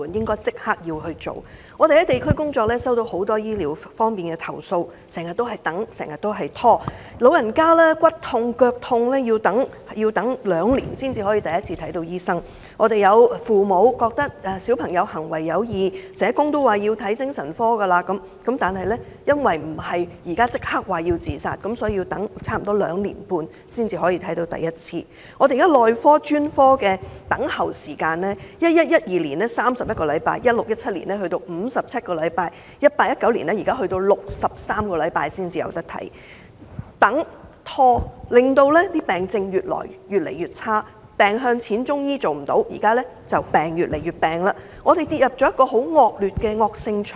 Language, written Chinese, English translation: Cantonese, 我們在地區工作收到很多醫療方面的投訴，市民經常要等、經常被拖，長者有骨痛、腳痛，要等兩年才第一次獲診症；父母發覺小朋友行為有異，社工亦建議見精神科，但由於不是即時有自殺問題，所以要等兩年半才首次獲診症；內科和專科的輪候時間 ，2011-2012 年度要輪候31個星期 ，2016-2017 年度要輪候57個星期，而 2018-2019 年度更要輪候63個星期。, An elderly person with bone pain or an ailing foot often has to wait for two years for the first medical appointment . If parents find that their children have abnormal behaviours and need to consult a psychiatrist as suggested by social workers they often need to wait for two and a half year for the first consultation if their children do not have immediate suicide risks . The waiting time for medical clinics and specialist clinics was 31 weeks in 2011 - 2012 57 weeks in 2016 - 2017 and 63 weeks in 2018 - 2019